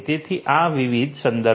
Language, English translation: Gujarati, So, these are these different references